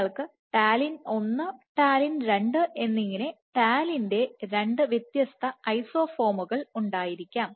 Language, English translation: Malayalam, So, you might have you have you will have 2 different isoforms of talin, talin 1 and talin 2